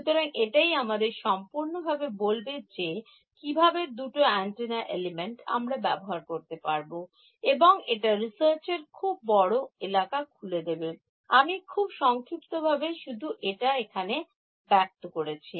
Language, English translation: Bengali, So, this sort of completes how to deal with two antenna elements and this opens up a vast area of research I will just very briefly mention it over here